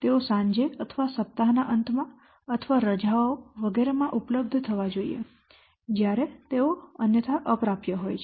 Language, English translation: Gujarati, They must be made available at those times such as evenings or weekends or holidays etc when they might otherwise be inaccessible